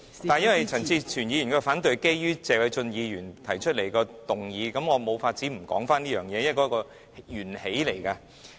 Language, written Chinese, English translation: Cantonese, 由於陳志全議員的反對議案是建基於謝偉俊議員提出的議案，所以我無法不提及此事，因為這是起源。, since Mr CHAN Chi - chuens opposition motion is based on the motion proposed by Mr Paul TSE I cannot but mention this matter because the latter is the cause